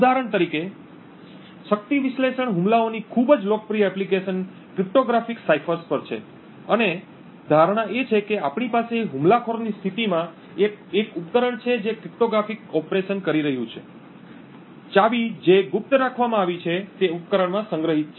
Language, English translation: Gujarati, For example, a very popular application of power analysis attacks is on cryptographic ciphers and the assumption is that we have the attacker has in his position a device which is doing cryptographic operations, the key which is kept secret is stored within the device